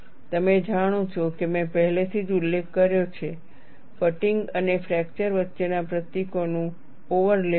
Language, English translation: Gujarati, You know I had already mentioned, there is overlap of symbols between fatigue and fracture